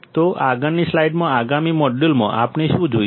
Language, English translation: Gujarati, So, in the next slides, in the next modules, what we will be looking at